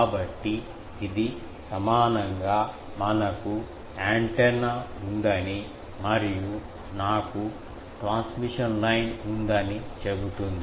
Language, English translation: Telugu, So, this equivalently, will say that we have an antenna and I have a transmission line